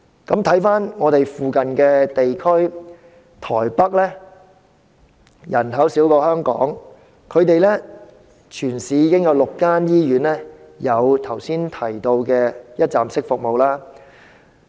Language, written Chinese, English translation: Cantonese, 在鄰近地區例如台北，雖然當地人口少於香港，但全市已有6間醫院提供剛才所述的一站式服務。, Speaking of our neighbouring regions such as Taipei while its local population is smaller than that of Hong Kong six hospitals in the entire city have provided the one - stop services I mentioned a moment ago